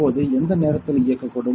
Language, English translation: Tamil, So, at what point this will turn on now